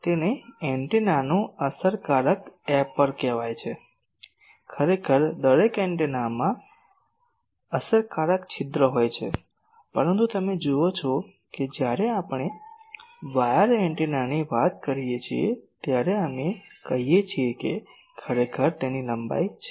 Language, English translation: Gujarati, This is called Effective Aperture of an Antenna, actually every antenna has an effective aperture, but you see that when we talk of wire antenna, we say that I really that has only a length